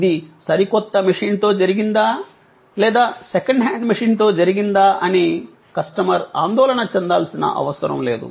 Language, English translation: Telugu, The customer no longer had to bother that whether it was done with in brand new machine or with a second hand machine